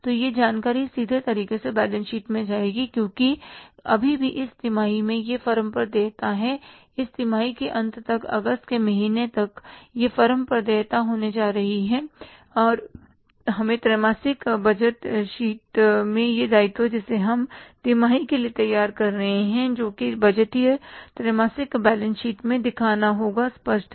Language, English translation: Hindi, Till the end of this quarter till the month of August it is going to be a liability on the firm and we have to show this liability in the quarterly balance sheet which we are preparing for this quarter that is the budgeted quarterly balance sheet